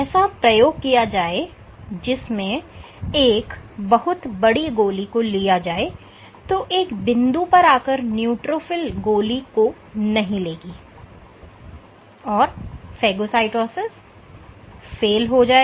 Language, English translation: Hindi, and experiments have been done where if you take a bead which is huge at some point the neutrophil actually gives up, your phagocytosis fails